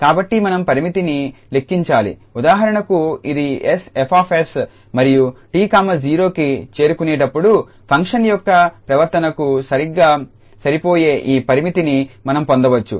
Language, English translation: Telugu, So, we need to compute the limit for example this s F s and we can get that is exactly the behavior of the function as t approaches to 0